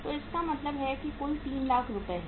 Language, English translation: Hindi, So it means total is the 3 lakh rupees